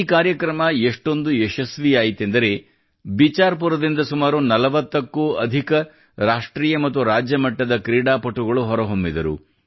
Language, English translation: Kannada, This program has been so successful that more than 40 national and state level players have emerged from Bicharpur